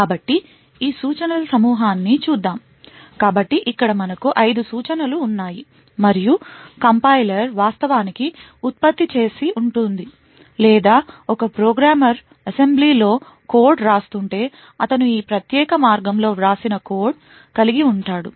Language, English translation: Telugu, so here we have like there are 5 instructions and this is what the compiler would have actually generated or if a programmer is writing code in assembly he would have written code in this particular way